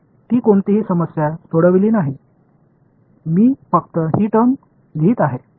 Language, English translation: Marathi, I have not solved any problem I am just re writing these terms